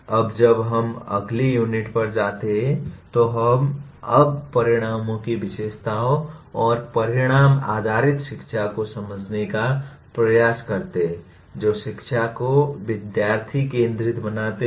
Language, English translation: Hindi, Now when we go to the next unit, we attempt to now understand the features of outcomes and outcome based education that make the education student centric